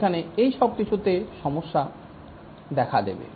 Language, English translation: Bengali, Here all these are problematic